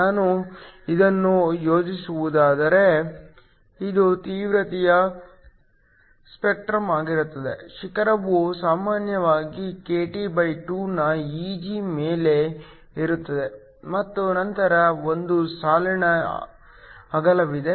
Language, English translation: Kannada, If I were to plot this, this will be the spectrum of the intensity the peak usually lies kT2 above Eg and then there is a line width